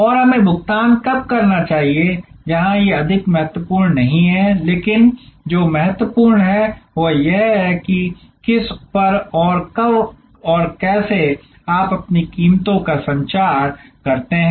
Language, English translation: Hindi, And when should the payment we made where these are more no so critical, but what is critical is how much to charge whom and when and how do you communicate your prices